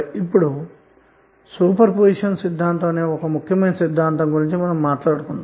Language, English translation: Telugu, Now let us talk about one important theorem called Super positon theorem